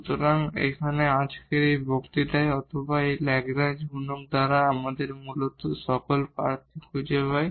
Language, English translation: Bengali, So, here in this lecture today or by this Lagrange multiplier we basically find all the candidates